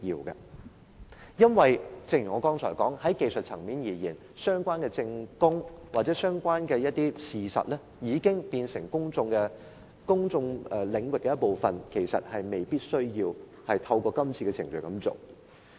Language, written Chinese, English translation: Cantonese, 正如我剛才所說，在技術層面而言，當一些相關的證供或事實已經變成公眾領域的一部分，其實未必需要透過今次的程序取得。, As I said earlier technically speaking when some relevant evidence or facts have become part of the public domain it may not be necessary to obtain them through the current procedure